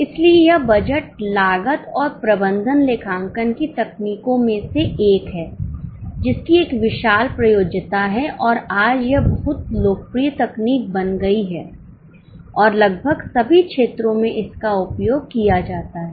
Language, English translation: Hindi, So this budget is one of the techniques of cost and management accounting which has a vast applicability and today it has become very popular technique and used in almost all walks of life